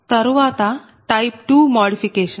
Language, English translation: Telugu, now type two modification